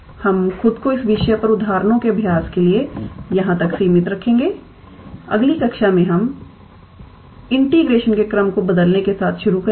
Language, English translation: Hindi, We will restrict ourselves to practicing examples on this topic up to here, in the next class we will start with change of order of integration